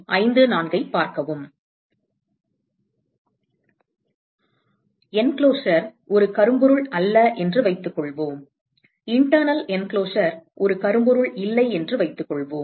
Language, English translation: Tamil, Suppose we assume that suppose the enclosure is not a black body; suppose we say that the internal enclosure is not a blackbody right